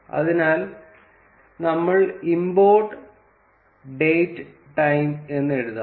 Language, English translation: Malayalam, So, we would write import date time